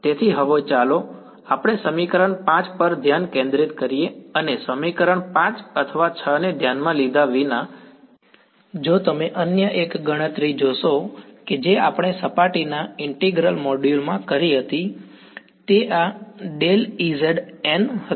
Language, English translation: Gujarati, So, now let us focus on equation 5, and well regardless of equation 5 or 6 if you notice one other calculation that we had done in the module on surface integral was that this gradient of E z dot n hat